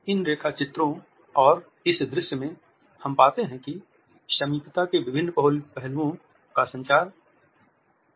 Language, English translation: Hindi, In these sketches and in this visual, we find that different aspects of proxemics have been communicated